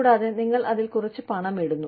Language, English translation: Malayalam, And, you keep putting, some amount of money in it